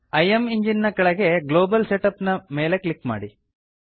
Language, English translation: Kannada, Under IMEngine, click on Global Setup